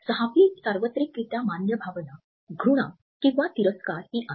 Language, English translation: Marathi, The sixth universally recognized emotion is disgust